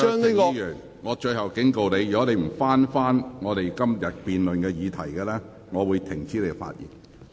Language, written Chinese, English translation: Cantonese, 林卓廷議員，我最後警告你，如果你不針對今天辯論的議題發言，我會指示你停止發言。, Mr LAM Cheuk - ting this is my last warning . I will direct you to stop speaking should you fail to focus on the question being debated today